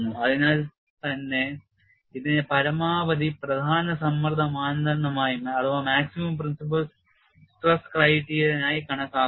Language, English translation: Malayalam, So, that is why this is put as maximum principle stress criterion